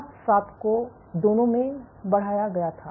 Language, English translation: Hindi, So, integrin beta 1 sorry, alpha 7 was increased in both